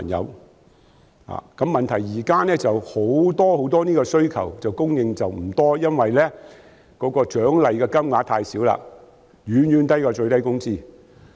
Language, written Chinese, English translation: Cantonese, 現在的問題是這方面的服務供應不多，因為獎勵金額太少，遠遠低於最低工資。, The problem now is that this service is not in plentiful supply because of the very low incentive payments which are far lower than the minimum wage